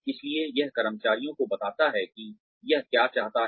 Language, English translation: Hindi, So, it tells the employees, what it wants